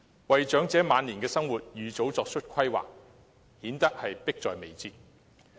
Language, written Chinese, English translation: Cantonese, 為長者晚年的生活預早作出規劃，顯得迫在眉睫。, There is a pressing need to make early planning for the elderly regarding lives in their advanced years